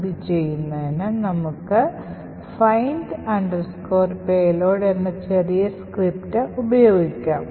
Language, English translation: Malayalam, So, in order to do that we use this small script called find payload